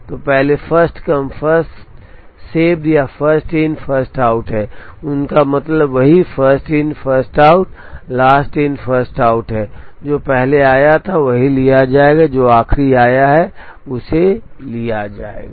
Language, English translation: Hindi, So, first is First Come First Served or First In First Out, they mean the same First In First Out, Last In First Out, the one that came first will be taken the one that is came last will be taken